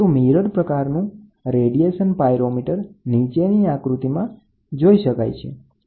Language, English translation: Gujarati, So, the mirror type radiation pyrometer is shown in the figure below